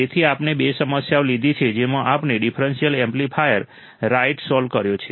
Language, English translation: Gujarati, So, we have taken two problems in which we have solved the differential amplifier right